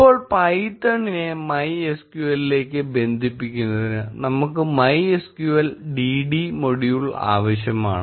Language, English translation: Malayalam, Now, to connect python to MySQL, we will need MySQL dd module